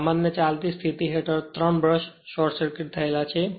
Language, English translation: Gujarati, Under normal running condition the 3 brushes are short circuited